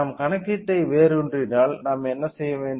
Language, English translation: Tamil, If we root to the calculation why do we have to do